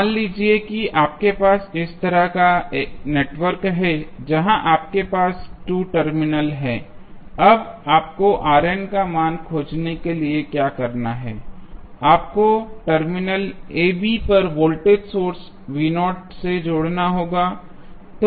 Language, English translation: Hindi, So, suppose if you have the network like this, where you have 2 terminals AB now, what you have to do to find the value of R n you have to connect a voltage source V naught across terminal AB